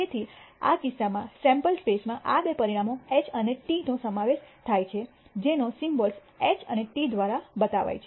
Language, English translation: Gujarati, So, in this case the sample space consists of these two outcomes H and T denoted by the symbols H and T